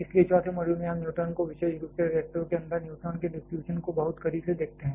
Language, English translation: Hindi, So, in the 4th module we give a much closer look to the neutrons particularly the distribution of neutrons inside the reactors